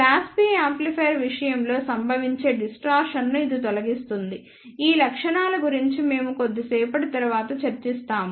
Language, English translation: Telugu, This eliminates the distortion that occurs in case of class AB amplifier we will discuss about these features little later